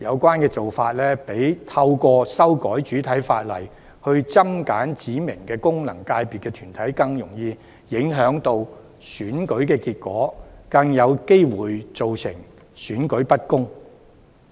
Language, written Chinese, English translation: Cantonese, 這些做法較透過修改主體法例來增減指明的功能界別團體，更容易影響選舉結果，亦更有機會造成選舉不公的情況。, It is much easier to influence the election results through such practices than introducing amendments to the principal legislation to add or remove specified corporates of FCs and there are also higher chances of unfair elections happening